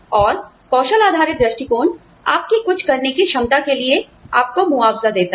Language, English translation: Hindi, And, skill based approach, compensates you for your ability, to do something